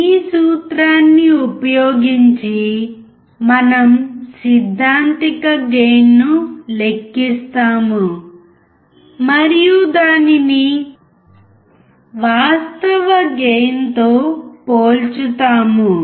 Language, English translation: Telugu, Using the formula, we calculate the theoretical gain and compare it with the actual gain